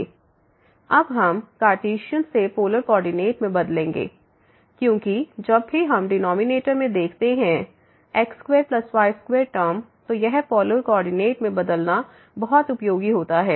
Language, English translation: Hindi, So, we will change now from Cartesian to the polar coordinate, because whenever we see the square plus square term in the denominator than this changing to polar coordinate is very, very useful